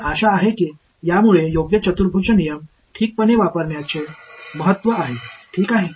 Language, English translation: Marathi, So, hopefully this drives home the importance of having of using a proper quadrature rule alright